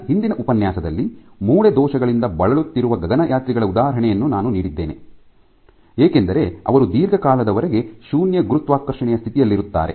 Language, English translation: Kannada, The last class I gave an example of the astronauts, who are more susceptible to suffering from bone defects because they stay under zero gravity conditions for long periods